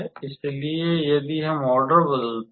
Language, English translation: Hindi, So, if we change the order